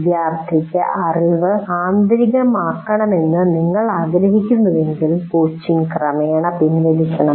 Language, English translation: Malayalam, And then if you want the student to completely internalize that, the coaching should be gradually withdrawn